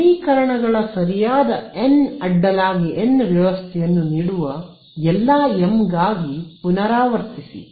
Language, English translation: Kannada, Repeat for all ms that gives me a n cross s n cross n system of equations right